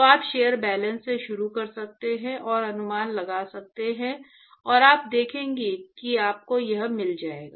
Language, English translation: Hindi, So, you can start from shell balances and take put the right approximations and you will see that you will get this